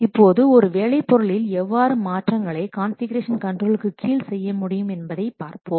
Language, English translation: Tamil, Now let's see how the modifications to a work product are made under configuration control